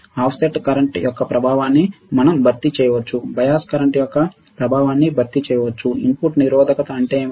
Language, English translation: Telugu, We can compensate the effect of offset current, may compensate the effect of bias current, what is input resistance